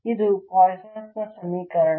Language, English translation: Kannada, this is the poisson's equation